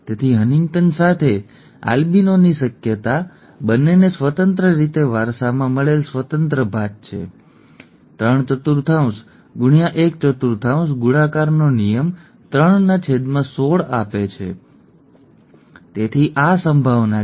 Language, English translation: Gujarati, Therefore, the probability of an albino with HuntingtonÕs, okay, both are independently inherited independent assortment, three fourth into one fourth multiplication rule, 3 by 16, okay, so this is the probability